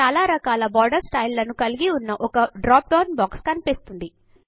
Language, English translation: Telugu, A drop down box opens up containing several border styles